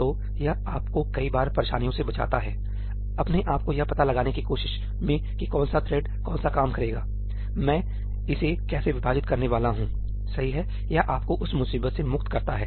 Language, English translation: Hindi, So, it saves you a lot of troubles at times in trying to yourself figure out what is the work to be done by what thread, how am I supposed to divide it up it frees you from all that trouble